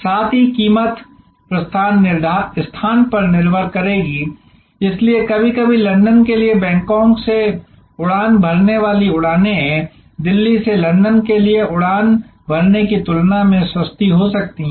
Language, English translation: Hindi, Also price will depend on departure location, so sometimes flights taking off from Bangkok for London may be cheaper than flight taking off from Delhi for London again depends on pattern of demand